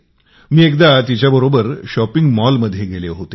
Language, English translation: Marathi, I went for shopping with her at a mall